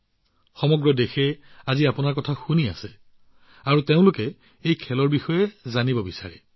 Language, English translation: Assamese, The whole country is listening to you today, and they want to know about this sport